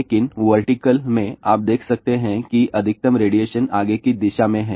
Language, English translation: Hindi, But in the vertical, you can see that the maximum radiation is in the forward direction